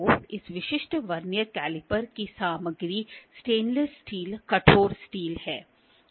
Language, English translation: Hindi, So, the material of this specific Vernier caliper is stainless steel, stainless hardened steel